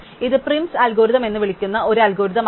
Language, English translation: Malayalam, This will give raise to an algorithm which is called primÕs algorithm